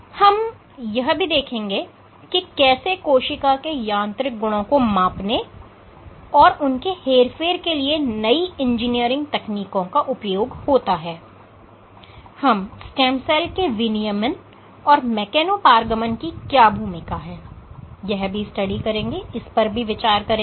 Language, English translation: Hindi, We will also discuss about newly engineered technologies for force manipulation and measurement of cell mechanical properties, and we will discuss the role of mechano transaction in regulating stem cell fate and in diseases